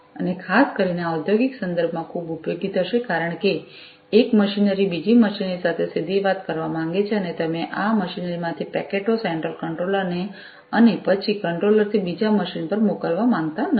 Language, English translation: Gujarati, And this will be very much useful particularly in the industrial context, because the one machinery might want to talk directly to another machinery and you do not want to you know send the packets from this machinery to the central controller and then from the controller to the other machine